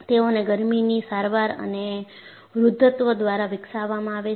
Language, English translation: Gujarati, They are purposefully developed by heat treatment and ageing